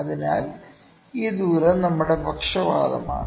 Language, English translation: Malayalam, So, this distance is our bias